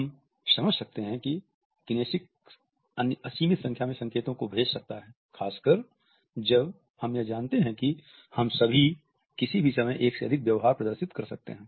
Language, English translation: Hindi, We understand that kinesics can send unlimited number of verbal signals, particularly when we consider that all of us can display more than a single behavior in any given instance